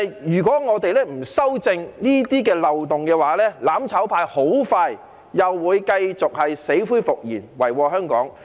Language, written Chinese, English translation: Cantonese, 如果我們不修正這些漏洞，"攬炒派"很快又會死灰復燃，遺禍香港。, If we do not rectify these loopholes the mutual destruction camp will revive in no time and do serious harm to Hong Kong